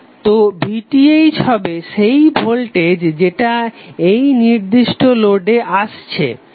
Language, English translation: Bengali, So VTh would be nothing but the voltage which is coming at this particular node